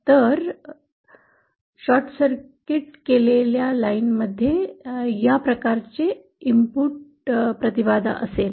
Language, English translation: Marathi, So short circuited line will have this kind of an input impedance